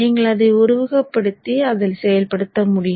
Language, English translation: Tamil, You can execute it and then try it out